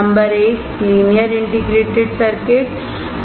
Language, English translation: Hindi, Number one, is linear integrated circuits